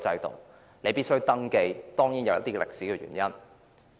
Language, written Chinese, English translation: Cantonese, 當然，這當中有一些歷史原因。, Of course there are some historical reasons for this